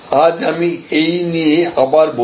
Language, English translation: Bengali, But, I will talk about it again today